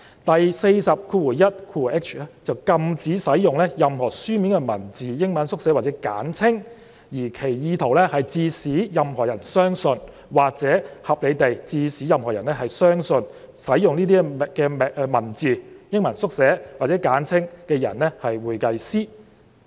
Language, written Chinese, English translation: Cantonese, 第 421hi 條則禁止使用"任何書面文字、英文縮寫或簡稱，而其意圖是致使任何人相信或可合理地致使任何人相信使用該等文字、英文縮寫或簡稱的人為會計師"。, Section 421hi prohibits the use of any written words initials or abbreviations of words intended to cause or which may reasonably cause any person to believe that the person using the same is a certified public accountant